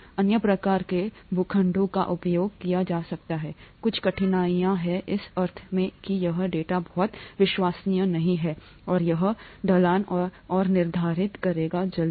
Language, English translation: Hindi, Other types of plots can be used, there are some difficulties with this in the sense that the data here is not very reliable and it will determine the slope and so on